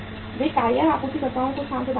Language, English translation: Hindi, They provide the space to the tyre suppliers